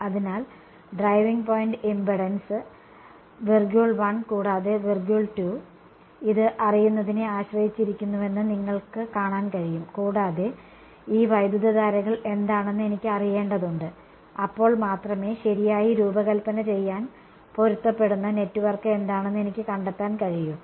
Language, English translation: Malayalam, So, you can see that the driving point impedance depends on knowing I 1 and I 2, I need to know what these currents are only then I can find out what is the matching network to design right